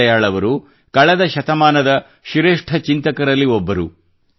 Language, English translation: Kannada, Deen Dayal ji is one of the greatest thinkers of the last century